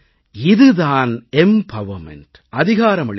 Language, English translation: Tamil, This is empowerment